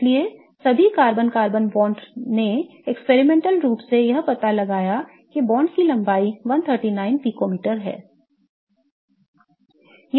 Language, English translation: Hindi, So, all carbon carbon bonds experimentally figured out that the bond length is 139 picometer